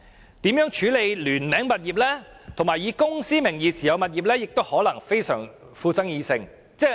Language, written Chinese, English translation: Cantonese, 此外，如何處理聯名物業，以及以公司名義持有物業亦可能極具爭議。, Also the way of handling jointly - owned properties and properties held via a holding company might also be highly contentious